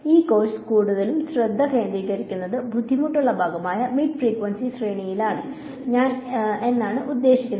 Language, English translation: Malayalam, And most of I mean this course will be focused mostly on the difficult part which is mid frequency range